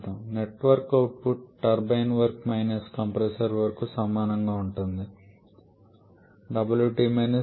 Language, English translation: Telugu, Now we know that the net work output will be equal to the turbine work minus compressor work